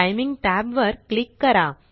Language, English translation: Marathi, Click the Timing tab